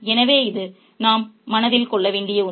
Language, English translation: Tamil, So, this is something we need to keep in mind